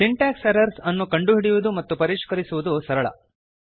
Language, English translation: Kannada, Syntax errors are easy to find and fix